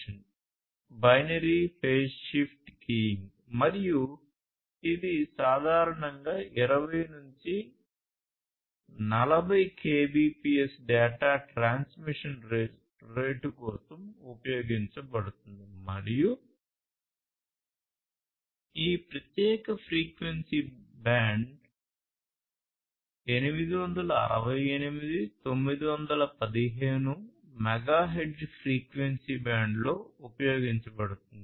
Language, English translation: Telugu, binary phase shift keying and this is typically used for, you know, requirements of data transmission rate of about 20 to 40 Kbps and in this particular frequency band, 868, 915 megahertz frequency band